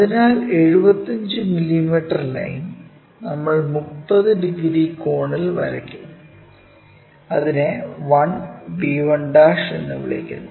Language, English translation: Malayalam, So, the 75 mm a line we will draw at 30 degree angle and it stops call that 1 b 1'